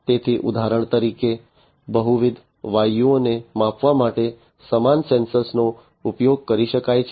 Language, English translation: Gujarati, So, same sensor can be used to measure multiple gases for example